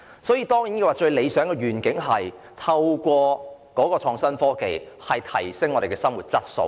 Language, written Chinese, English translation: Cantonese, 所以，最理想的願景，是透過創新科技提升生活質素。, So the ideal vision is to adopt innovation and technology as a means of improving the quality of life